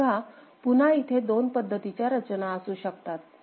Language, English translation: Marathi, So, again there can be two arrangement